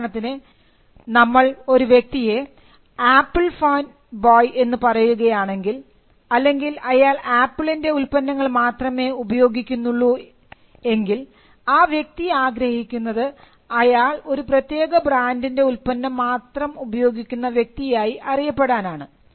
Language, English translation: Malayalam, For instance, when we refer to a person as an Apple fan boy or a person who uses only Apple products then, the person wants himself to be identified as a person who uses a particular product